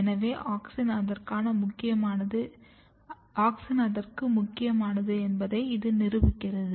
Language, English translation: Tamil, So, this also proves that auxin is important for it